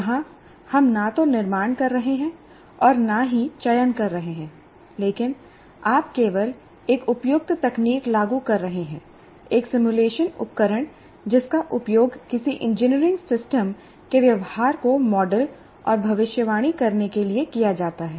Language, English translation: Hindi, So here we are neither creating nor selecting, but we are just applying an appropriate technique, that is simulation tool, to kind of, that is both modeling and prediction of the behavior of some engineering system